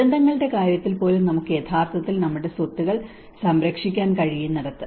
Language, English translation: Malayalam, Where we can actually safeguard our properties even in the case of disasters